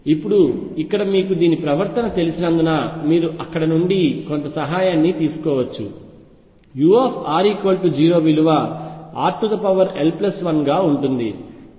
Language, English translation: Telugu, Now here since you know the behaviour you can take some help from there u at r equals 0 goes as r raise to l plus 1